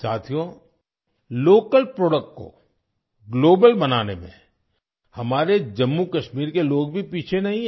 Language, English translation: Hindi, Friends, the people of Jammu and Kashmir are also not lagging behind in making local products global